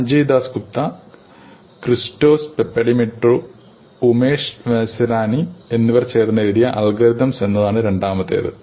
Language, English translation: Malayalam, And the second book is just called ÒAlgorithmsÓ by Sanjay Dasgupta, Christos Papadimitriou and Umesh Vazirani